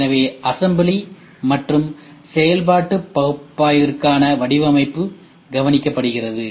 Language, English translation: Tamil, So, the design for assembly and functionality analysis is taken care